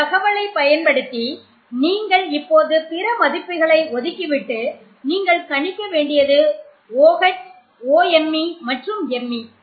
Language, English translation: Tamil, So based on this information, I want you to ignore the rest of the values for now, can you predict what the values would be for OH OMe and Me